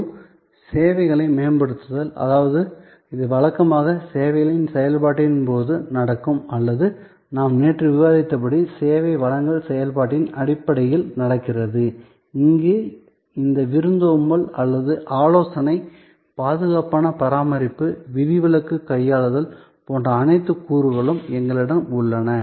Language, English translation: Tamil, And enhancing services; that means it happens usually during the process of service or as we discussed yesterday, it happens on stage during the service delivery process, where we have all these elements like hospitality or consultation, safe keeping, exception handling and so on